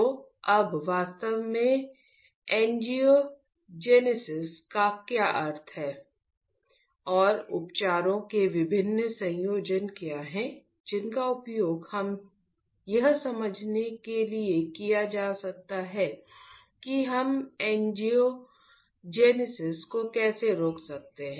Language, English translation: Hindi, So now, what exactly angiogenesis means and what are the different combination of therapies that one can use to understand that how we can stop the angiogenesis ok